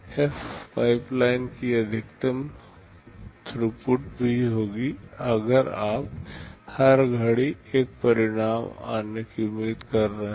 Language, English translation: Hindi, f will also be the maximum throughput of the pipeline if you are expecting one result to come out every clock